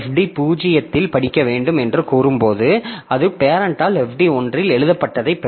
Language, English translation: Tamil, So, when the child executes a read on FD 0, it will get whatever is written by parent in FD1